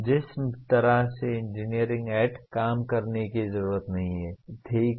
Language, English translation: Hindi, That is not the way engineer need to work, okay